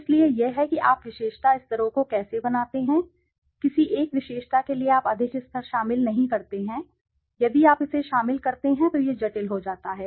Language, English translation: Hindi, So, this is how you formulate the attribute levels, don t include too many levels for any one attribute, if you include it becomes complicated